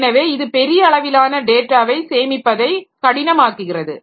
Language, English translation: Tamil, So, that makes it difficult for storing large amount of data